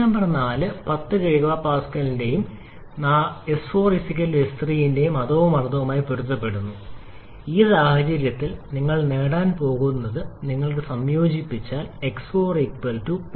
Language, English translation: Malayalam, Point number 4 corresponds the same pressure of 10 kilo Pascal and S 4 is equal to S 3 if you combine that you are going to get in this case to be x 4 equal to 0